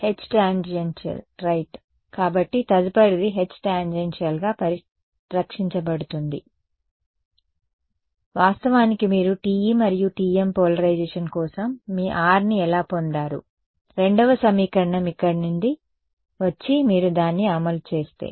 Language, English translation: Telugu, H tan right, so next is going to be H tan conserved at this is actually how you derived your R for TE and TM polarization right, if the second equation comes from here and you just enforce it